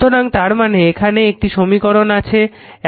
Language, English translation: Bengali, So, if you write like this, this is this this equation